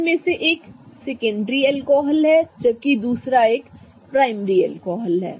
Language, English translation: Hindi, One of them is a secondary alcohol whereas the other one is a primary alcohol